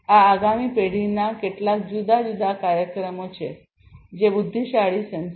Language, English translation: Gujarati, These are some of these different applications of these next generation intelligent sensors